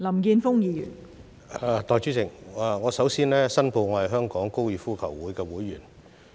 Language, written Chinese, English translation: Cantonese, 代理主席，我首先申報，我是香港哥爾夫球會的會員。, Deputy President before I start I would like to declare that I am a member of the Hong Kong Golf Club